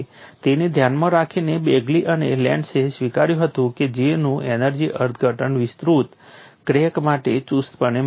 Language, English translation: Gujarati, In view of that, Begly and Landes recognized that the energy interpretation of J is not strictly valid for an extending crack